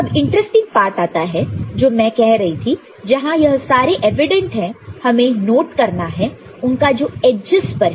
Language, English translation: Hindi, Now comes interesting part which I was saying that while these are evident we need to take note that the one that are in the edges